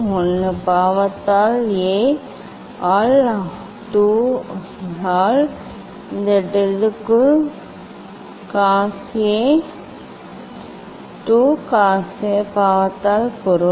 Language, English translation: Tamil, 1 by sin A by 2 into this del of this means cos A by 2 cos by sin